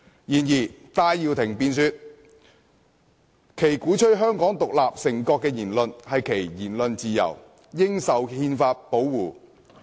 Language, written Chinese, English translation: Cantonese, 然而，戴耀廷辯說鼓吹香港獨立成國的言論是其言論自由，應受憲法保護。, However Benny TAI argued that his making remarks advocating Hong Kong as an independent state was his freedom of speech which should be protected by the Constitution